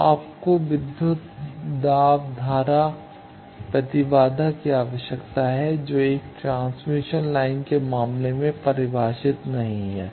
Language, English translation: Hindi, So, you need voltage current impedance these are not defined in case of a single transmission line